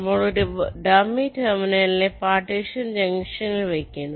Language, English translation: Malayalam, you introduce a dummy terminal at the partitioning junction